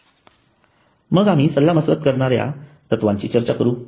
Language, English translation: Marathi, Then we go to the principles of consulting